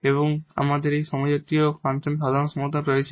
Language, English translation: Bengali, We will be talking about the solution of non homogeneous linear equations